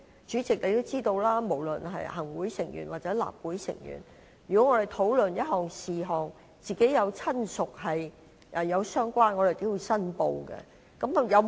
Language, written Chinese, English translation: Cantonese, 主席，你也知道，不論是行政會議成員或立法會議員在討論某一事項時，若有親屬從事相關行業，他們均須作出申報。, President as you are also aware when Members of the Executive Council or of the Legislative Council are discussing a certain topic if they have relatives engaging in the relevant trades they have to declare interest